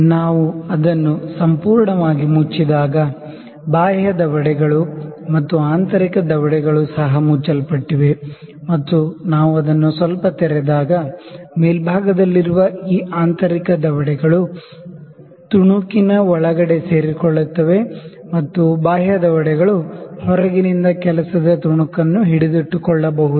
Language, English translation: Kannada, See if we close it completely you can see the external jaws are also closed and internal jaws are also closed and when we open it a little, you can see this internal jaws which are on the upper side, they can be inserted inside and the external jaws are can be can hold the work piece from the outside